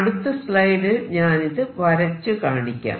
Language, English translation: Malayalam, Let me go to the next slide and show this